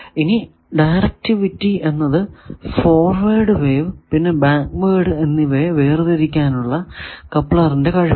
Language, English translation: Malayalam, Now, directivity measures couplers ability to separate forward and backward waves